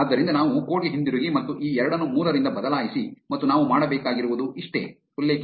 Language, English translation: Kannada, So, let us go back to the code and just replace this 2 by 3 and that is all we need to do